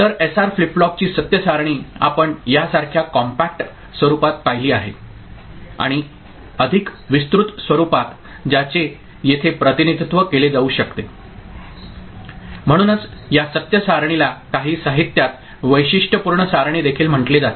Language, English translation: Marathi, So, truth table of SR flip flop we had seen before in a compact form like this and more elaborate form which can be represented here ok, so this truth table is also called characteristic table in some of the literature